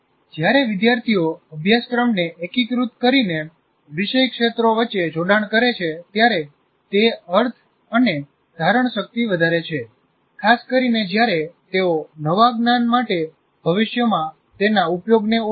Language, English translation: Gujarati, So when students make connections between subject areas by integrating the curriculum, it increases the meaning and retention, especially when they recognize a future use for the new learning